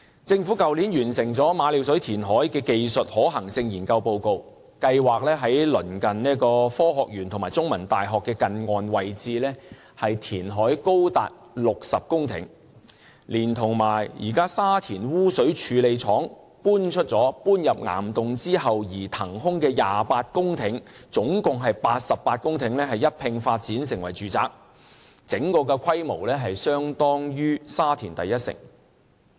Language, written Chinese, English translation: Cantonese, 政府去年完成馬料水填海的技術可行性研究報告，計劃在鄰近科學園和香港中文大學的近岸位置填海高達60公頃，連同現時沙田污水處理廠遷入岩洞後騰出的28公頃，合共88公頃土地一併發展成為住宅，整個規模相當於沙田第一城。, Last year the Government completed the technical feasibility study report for Ma Liu Shui reclamation . According to the plan the near - shore reclamation site in the vicinity of the Science Park and the Chinese University of Hong Kong will be as large as 60 hectares . This site together with 28 hectares of land released after the relocation of the existing Sha Tin Sewage Treatment Works to caverns will provide a total of 88 hectares of land for housing development and the scale of which will be comparable to City One Shatin